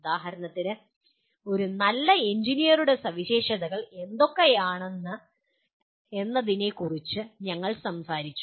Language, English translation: Malayalam, For example we talked about what are the characteristics of a good engineers